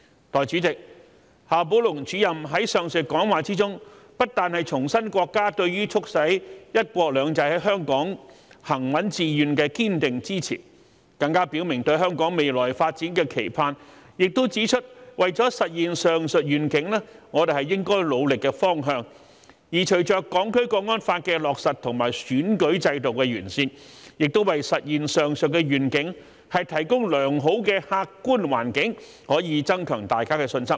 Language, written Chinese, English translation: Cantonese, 代理主席，夏寶龍主任在上述講話中不但重申國家對於促使"一國兩制"在香港行穩致遠的堅定支持，更表明對香港未來發展的期盼，也指出為了實現上述願景我們應努力的方向；而隨着《香港國安法》的落實和選舉制度的完善，亦為實現上述願景提供良好的客觀環境，可以增強大家的信心。, Deputy President in the speech above Director XIA Baolong not only reiterated the countrys firm support to ensure the steadfast and successful implementation of one country two systems in Hong Kong but also expressed the expectation for the future development of Hong Kong and pointed out the direction that we should work hard for realizing the above vision . With the implementation of the Hong Kong National Security Law and the improvement of the electoral system a desirable objective environment is also provided to realize the above vision which can boost public confidence